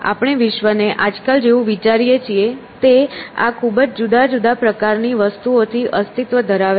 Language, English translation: Gujarati, So, the world as we think of nowadays exists at these very different scales of things; that are at one level